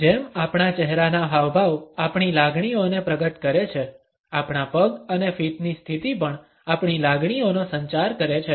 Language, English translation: Gujarati, As our facial expressions reveal our feelings; our legs and position of the feet also communicates our feelings